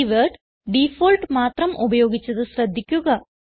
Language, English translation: Malayalam, That is done by using the default keyword